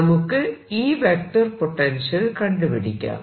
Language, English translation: Malayalam, in any case, i want to now calculate the vector potential for this